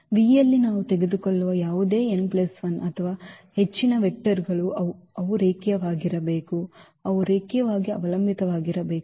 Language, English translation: Kannada, So, any n plus 1 or more vectors we take in V they must be linearly they must be linearly dependent